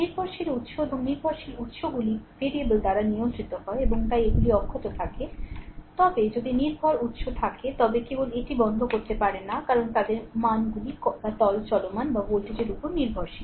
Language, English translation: Bengali, Dependent sources and dependent sources are controlled by variables and hence they are left intact so, but if dependent source are there, you just cannot turned it off right because their values are dependent on the what you call current or voltages right